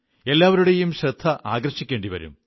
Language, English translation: Malayalam, Everyone's attention will have to be drawn